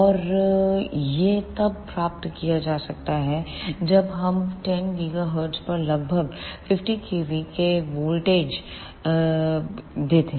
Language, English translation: Hindi, And this can be achieved when we give dc voltage of about 50 kilovolt at about 10 gigahertz